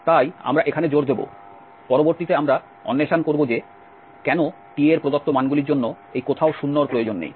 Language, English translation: Bengali, So, we will emphasise here, later on we will explore that why this nowhere 0 is needed for the given values of t